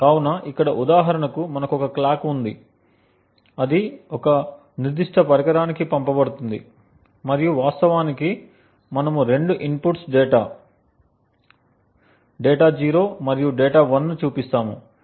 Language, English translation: Telugu, So for example over here we have a clock which is sent to a particular device and we have actually showing two inputs data 0 and data 1